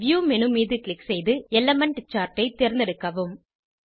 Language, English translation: Tamil, Click on View menu, select Elements Charts